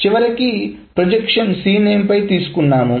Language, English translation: Telugu, And finally the projection in C name is taken